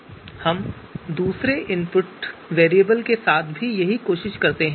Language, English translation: Hindi, And then we try the same thing with the other input variable variables